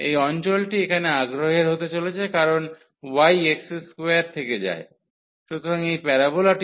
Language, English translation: Bengali, So, the region here of the interest is going to be because y goes from x square; so, this parabola 2 to minus x